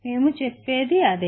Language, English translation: Telugu, That is what we stated